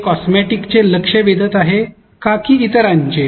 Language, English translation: Marathi, Is it cosmetic getting attention or others